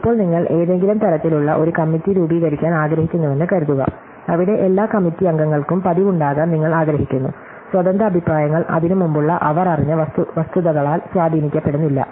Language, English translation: Malayalam, So, supposing you now you want to set up some kind of a committee, where you want to be usual that all the committee members have independent opinions are not influenced by the facts that they know each other before that